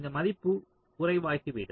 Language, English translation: Tamil, this value will become less